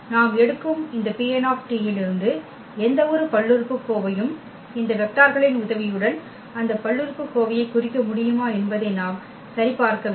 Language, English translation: Tamil, The second we have to check that any polynomial from this P n t we take can be represent that polynomial with the help of these vectors